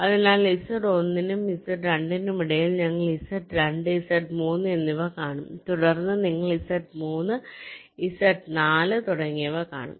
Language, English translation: Malayalam, so between z one and z two, then we will see z two, z three, then you will see z three, z four and so on